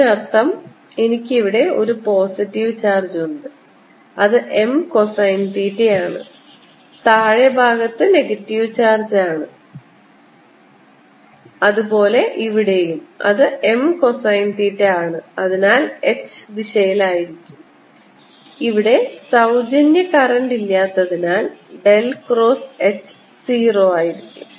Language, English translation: Malayalam, this means i have a positive charge kind of thing out here which is m cosine of theta and a negative charge in the lower side which is gain m cosine theta and therefore the h gives rise to is in this direction an h and del cross h is zero because there's no free current